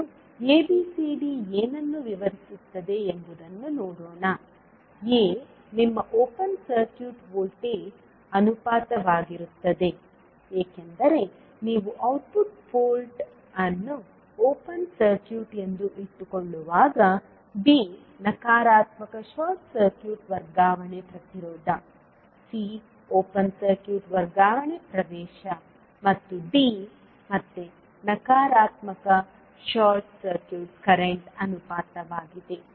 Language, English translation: Kannada, First let us see what ABCD defines; A will be your open circuit voltage ratio because this you calculate when you keep output port as open circuit, B is negative short circuit transfer impedance, C is open circuit transfer admittance and D is again negative short circuit current ratio